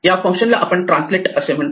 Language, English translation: Marathi, This function we called translate